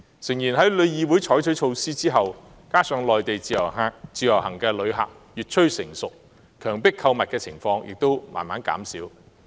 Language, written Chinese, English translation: Cantonese, 誠然，在旅議會採取措施後，加上內地自由行的旅客越趨成熟，強迫購物的情況亦逐漸減少。, In fact after TIC has implemented these measures and as IVS Mainland visitors become more mature the incidents of coerced shopping has gradually reduced